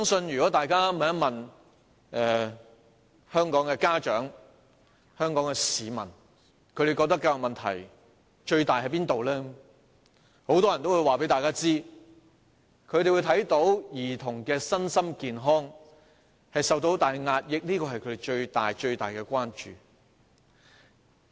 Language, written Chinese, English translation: Cantonese, 如果大家問香港的家長和市民，他們覺得最大的教育問題為何？很多人都會說，他們看到兒童的身心健康受到很大壓抑，這是他們最大的關注。, If we ask the parents and members of the public what they think is the biggest problem of education in Hong Kong many will reply that they have seen immense suppression of the physical and mental health of children . This is their greatest concern